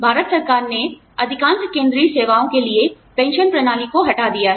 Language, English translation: Hindi, The Indian government has done away, with the pension system, for most central services